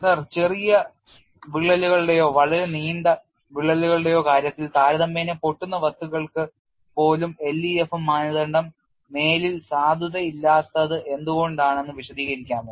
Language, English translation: Malayalam, Sir could you please explain why in the case of short cracks or very long cracks, the LEFM criteria are no longer valid, even for relatively brittle materials